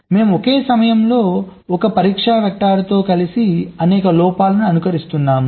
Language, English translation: Telugu, we were simulating many faults together with one test vector at a time